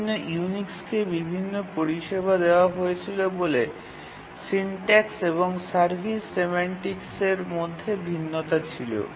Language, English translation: Bengali, Because the syntax and the service semantics differed, the different Unix version offered different services